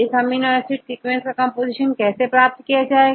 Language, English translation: Hindi, This is amino acid sequence, how to get the composition